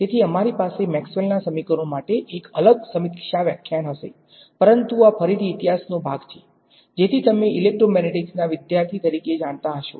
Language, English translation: Gujarati, So, we will have a separate review lecture for the equations of Maxwell, but this is again part of history, so which you know as any student of electromagnetics should know